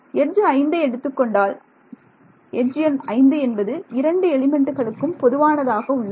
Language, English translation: Tamil, So, this happened on element when I took edge number 5 because edge number 5 is common to both the elements